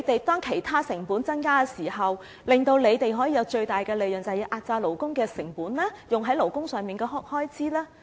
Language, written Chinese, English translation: Cantonese, 當其他成本增加時，為了讓他們賺取最大利潤，他們是否要壓榨勞工成本，壓低花在勞工上的開支呢？, When other costs increase in order to maximize profit do they have to compress labour cost and the expenses on labour?